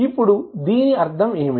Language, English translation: Telugu, Now, what does it mean